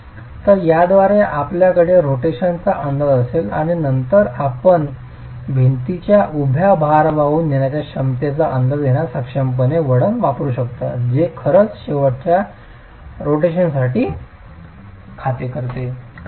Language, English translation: Marathi, So with this you will you will have an estimate of the rotation and then you can go use curves which are actually accounting for end rotations as well to be able to estimate the vertical load carrying capacity of a wall